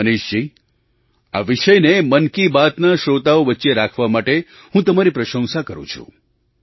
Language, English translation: Gujarati, Manishji, I appreciate you for bringing this subject among the listeners of Mann Ki Baat